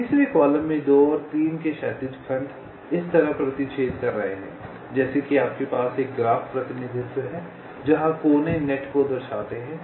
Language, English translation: Hindi, in the third column, the horizontal segments of two and three are intersecting, like if you have a graph representation where the vertices indicate the nets